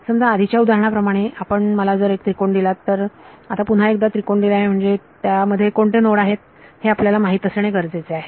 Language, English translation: Marathi, Supposing like in the previous example you give a triangle now once you given triangle you need to know which are the nodes in it